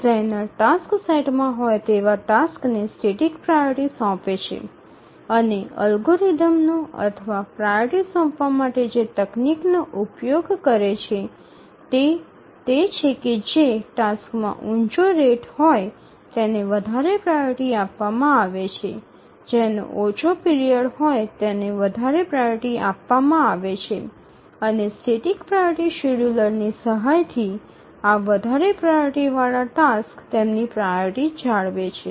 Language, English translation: Gujarati, The designer assigns static priority to the tasks that are there in the task set and the algorithm or the technique that he uses to assign priority is that the tasks which have higher rate are given as higher priority those who have shorter period are assigned higher priority and these higher priority tasks they maintain their priority this static priority scheduler once the designer assigns priority to a task it does not change and then a higher priority task always runs even if there are lower priority tasks